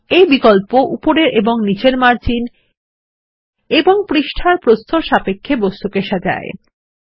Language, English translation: Bengali, It moves the object with respect to the top and bottom margins and the page width